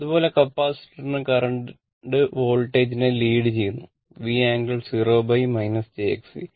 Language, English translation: Malayalam, Similarly, for capacitor we see the currently it is the voltage, V angle 0 minus jX C